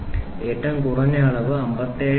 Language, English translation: Malayalam, 00055 and the minimum dimension is going to be 57